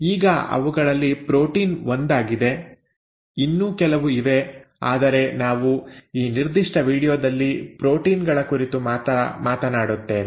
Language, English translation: Kannada, Now protein is one of them, there are quite a few others but we will stick to proteins in this particular video